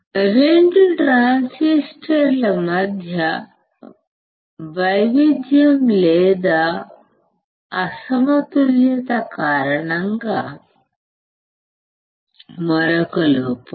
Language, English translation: Telugu, Error due to variation or mismatch between 2 transistors